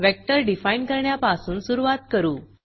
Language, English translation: Marathi, Let us start by defining a vector